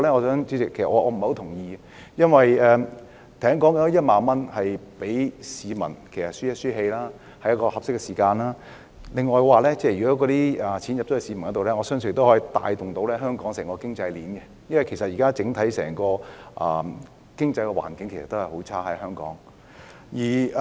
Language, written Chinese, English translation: Cantonese, 這1萬元只是讓市民略為舒一口氣，而在合適的時間讓市民獲得這筆款項，我相信可以帶動香港整個經濟鏈，因為香港現時整體經濟環境仍然很差。, This 10,000 would just let members of the public breathe a sigh of relief . The timely provision of this sum of money to the public I believe can stimulate the whole economic chain in Hong Kong because Hong Kongs overall economic condition is still poor now